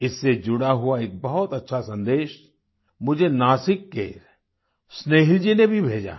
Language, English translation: Hindi, Snehil ji from Nasik too has sent me a very good message connected with this